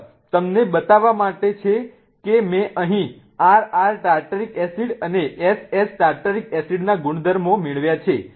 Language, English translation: Gujarati, Just to show you that what I have done is I have gotten the properties of RR Tartaric acid and S